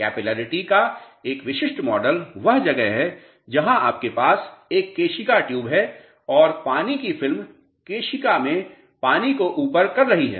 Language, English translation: Hindi, A typical model of the capillarity is where you have a capillary tube and the water film is uplifting the water in the capillary